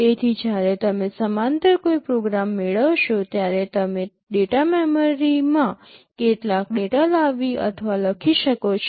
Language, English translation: Gujarati, So, while you are fetching a program in parallel you can also fetch or write some data into data memory